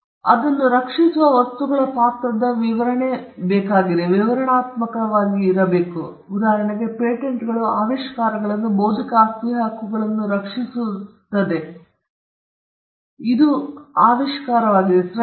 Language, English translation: Kannada, Intellectual property rights are descriptive of the character of the things that it protects; for instance, when we say patents protect inventions, the intellectual property rights that is patents they protect the intellectual property that is invention